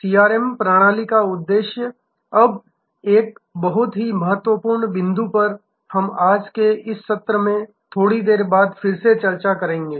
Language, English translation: Hindi, The objective of a CRM system, now a very important point we will discuss it again a little later in today's session